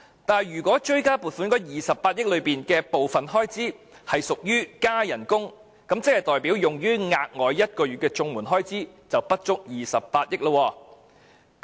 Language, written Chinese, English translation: Cantonese, 但是，如果追加撥款的28億元有部分是屬於增加薪酬開支，即代表用於綜援1個月額外援助金的開支不足28億元。, If on the contrary a portion of the 2.8 billion in the supplementary appropriation was spent on pay adjustment then that means the expenditure on providing one additional month of payment to CSSA recipients was less than 2.8 billion